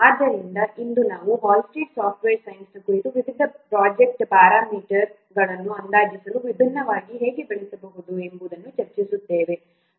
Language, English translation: Kannada, So, today we will discuss about the Hullstead software science, how it can be used for different for the estimation of different project parameters